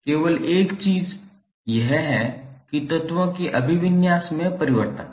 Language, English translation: Hindi, The only thing is that the change in the orientation of the elements